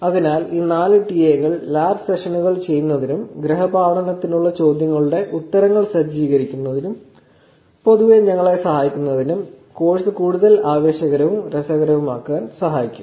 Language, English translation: Malayalam, So, these 4 TA’s will help us in doing lab sessions, setting up questions answers for the homework and helping us in general making the course more exciting and interesting for us